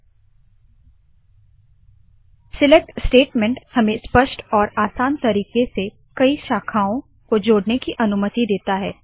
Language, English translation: Hindi, Hit enter The select statement allows to combine several branches in a clear and simple way